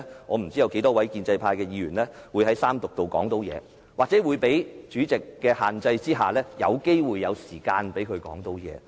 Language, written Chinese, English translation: Cantonese, 我不知道稍後有多少建制派議員可以在三讀階段發言，又或在主席的限制之下，是否有時間讓他們發言。, I do not know how many pro - establishment Members will be given a chance to speak later during the Third Reading or will there be enough time for them to speak under the restrictions imposed by the President